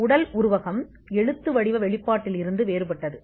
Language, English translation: Tamil, The physical embodiment is different from the written disclosure